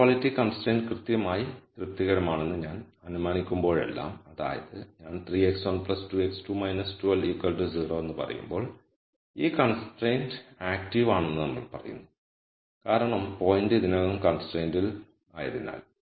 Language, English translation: Malayalam, So, whenever I assume that an equality constraint is exactly satis ed; that means, when I say 3 x 1 plus 2 x 2 minus 12 equals 0, then we say this constraint is active it is active because the point is already on the constraint